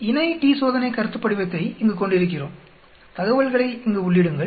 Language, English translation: Tamil, We have a paired t Test concept here, enter the data here